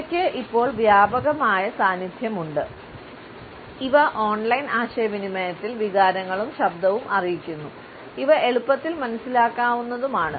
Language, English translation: Malayalam, They now have a pervasive presence, they convey emotions and tone of voice in online communication and are easily understandable